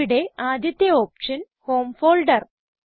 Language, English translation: Malayalam, The first option here is the Home folder